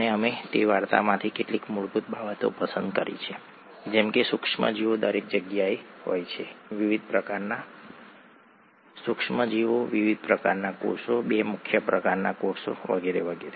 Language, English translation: Gujarati, And we picked up a few things that are fundamental from that story, such as microorganisms are there everywhere, the various types of microorganisms, the various types of cells, the two major types of cells and so on